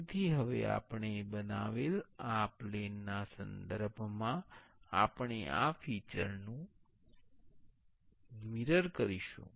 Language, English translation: Gujarati, So, now we will be mirroring this feature with respect to this plane I have created